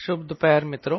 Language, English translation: Hindi, yeah, good afternoon